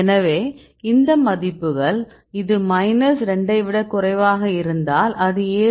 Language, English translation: Tamil, So, these value if it is less than minus 2 you can see that is around 7